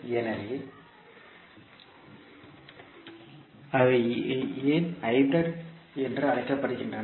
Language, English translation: Tamil, So why they are called is hybrid